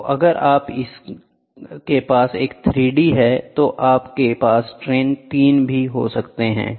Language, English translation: Hindi, So, if you have a 3 d one, it is you will have strain 3 also, right